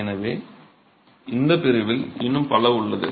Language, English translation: Tamil, So there are many more in this category